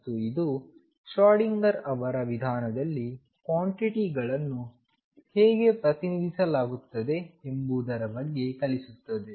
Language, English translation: Kannada, And this will also teaches about how quantities are represented in Schrodinger’s approach